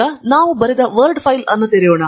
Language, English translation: Kannada, Let us now open the Word file that we have written